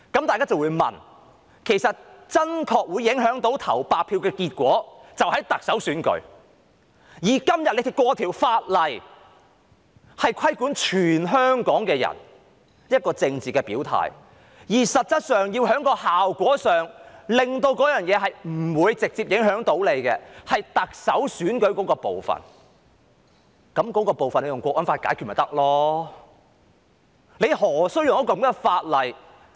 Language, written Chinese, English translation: Cantonese, 大家就會問，投白票真的會影響結果，就是在特首選舉，今天通過的法例卻規管全體香港人的政治表態，而實質上謀求不受直接影響的是特首選舉那部分，那部分引用《香港國安法》便可解決了，何須引用這樣的法例？, But the legislation passed today will regulate the expression of political stance of all the people of Hong Kong . Actually it is the Chief Executive election which is to be saved from any direct impact . It can readily be resolved by invoking the Hong Kong National Security Law